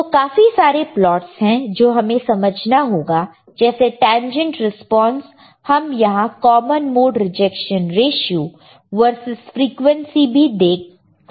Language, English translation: Hindi, So, lot of plots are there that we need to understand tangent response right, we can we can see here common mode rejection ratio versus frequency